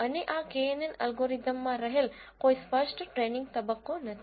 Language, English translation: Gujarati, And there is no explicit training phase involved in this knn algorithm